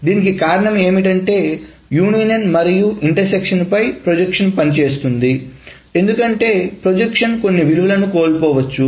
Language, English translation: Telugu, Again, the reason is the projection works on the union and the intersection because the projection may lose some of the values